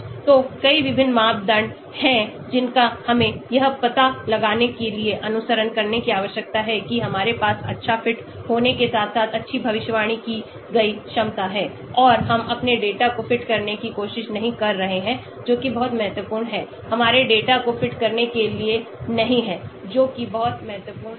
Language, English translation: Hindi, So there are so many different criteria we need to follow to ensure to ascertain that we have good fit as well as good predicted capability and we are not trying to over fit our data that is very, very important, not over fitting our data that is very important